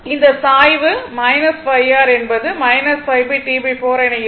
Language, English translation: Tamil, So, in that case slope will be minus 5 into T by 4